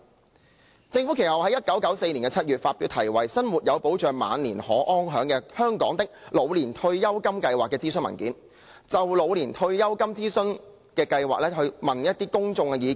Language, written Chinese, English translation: Cantonese, 其後，政府在1994年7月發表題為《生活有保障、晚年可安享―香港的老年退休金計劃》諮詢文件，就老年退休金計劃徵詢公眾意見。, The Government subsequently published in July 1994 a consultation paper entitled Taking the Worry out of Growing Old―An Old Age Pension Scheme for Hong Kong to seek public comments on OPS